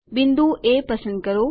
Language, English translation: Gujarati, Select point A